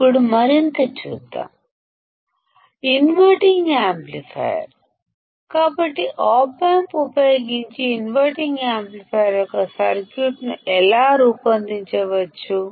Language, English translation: Telugu, Now, let us see further; the inverting amplifier; so, how we can design a circuit of an inverting amplifier using an Op amp